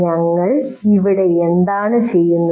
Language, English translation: Malayalam, What are we doing there